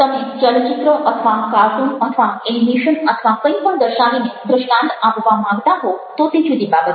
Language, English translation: Gujarati, you want to illustrate something by showing a movie or a cartoon or animation or whatever, that's a different thing